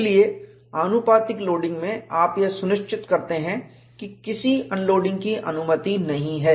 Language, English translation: Hindi, So, in proportional loading, you ensure that no unloading is permitted